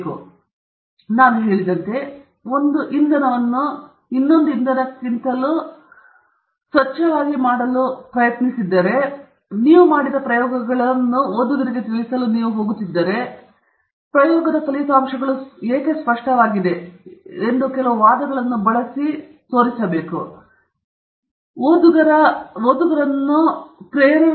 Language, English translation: Kannada, For example, as I mentioned, if you are trying to say one fuel is cleaner than the fuel, you are going to inform the reader of the experiments that you did, and then, use some arguments to say why that the results of experiment clearly show that one fuel is cleaner than the other fuel